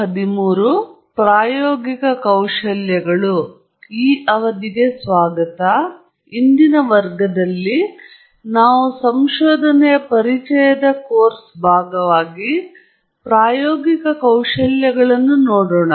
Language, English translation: Kannada, Hello, today's class, we will look at experimental skills as part of our short course on Introduction to Research